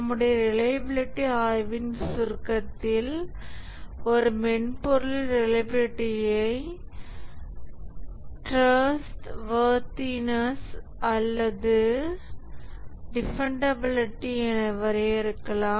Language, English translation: Tamil, In the summary of our reliability study, we can say that the reliability of a software can be defined as the trustworthiness or dependability